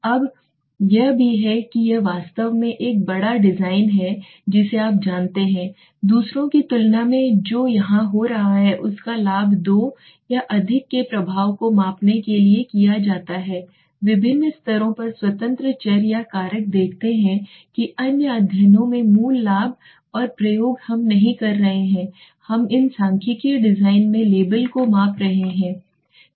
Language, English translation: Hindi, Now this is also this is the factorial design I have got a larger you know benefit than the others what is happening here it is used to measure the effect of two or more independent variables or factors at various levels see that is the basic advantage in other studies and experimentations we are not we were missing out the labels so in these statistical designs we are measuring the labels